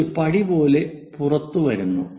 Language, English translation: Malayalam, This one goes like a step comes out